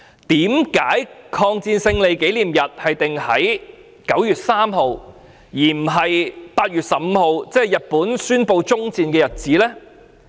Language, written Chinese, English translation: Cantonese, 為何把抗戰勝利紀念日訂為9月3日，而不是8月15日，即是日本宣布終戰的日子呢？, Why should the commemorative day of the victory of the Chinese Peoples War of Resistance against Japanese Aggression be on 3 September rather than on 15 August ie . the day on which Japan declared the end of the war?